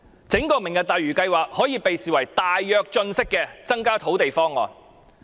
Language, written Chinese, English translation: Cantonese, 整個"明日大嶼"計劃，類似"大躍進"時期的增加土地方案。, The entire Lantau Tomorrow project is similar to the land increment proposal during the Great Leap Forward period